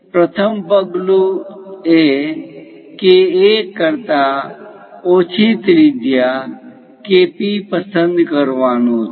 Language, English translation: Gujarati, The first step is choose a radius KP less than KA